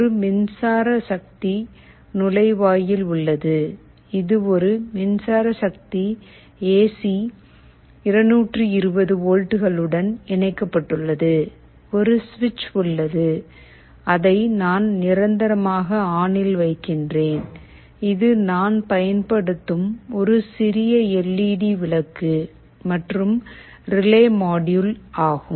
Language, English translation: Tamil, There is an electric power inlet, which is connected to an electric power source AC 220 volts, there is a switch which I am permanently putting as on, and this is a small LED bulb I am using, and this is the relay module that we are using